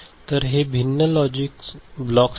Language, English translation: Marathi, So, these are the different logic blocks